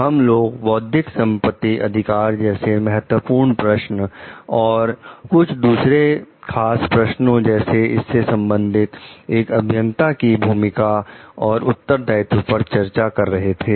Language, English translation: Hindi, We were discussing on the Key Questions of Intellectual Property Rights and some critical questions about it the roles and responsibilities of the engineers regarding it